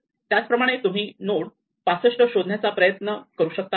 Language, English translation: Marathi, Similarly, you can start and look for 65